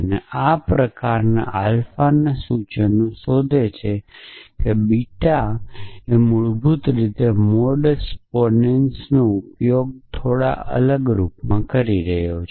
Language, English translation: Gujarati, And looks for implications of this kind alpha implies beta so basically it is using mod modus ponens in a slightly different form